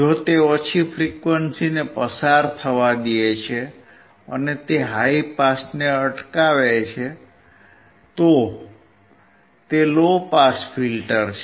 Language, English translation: Gujarati, If it is allowing the low frequency to pass and it rejects high pass, then it is low pass filter